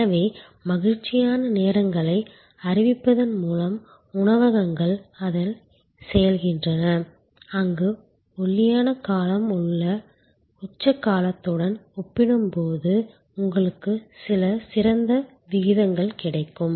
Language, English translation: Tamil, So, restaurants off an do it by declaring happy hours, where the lean period you get some better rate compare to the peak period